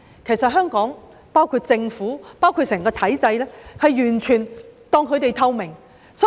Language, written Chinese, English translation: Cantonese, 他們說香港政府以至整個體制完全當他們透明。, They said that the Hong Kong Government and the entire system had completely ignored them